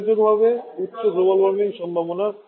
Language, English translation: Bengali, What can a significant global warming potential